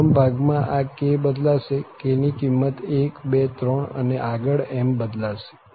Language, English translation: Gujarati, In the first one, this k varies here, k varies from 1, 2, 3, and so on